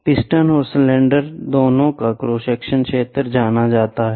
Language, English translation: Hindi, The cross section area of both the piston and cylinder are known